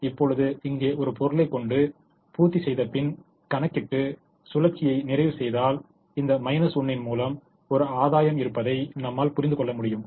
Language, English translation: Tamil, and if you put one item here and compute, complete the loop, you will realize that there is a gain which is given by this minus one